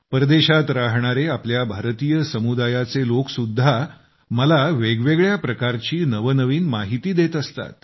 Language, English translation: Marathi, And there are people from our Indian community living abroad, who keep providing me with much new information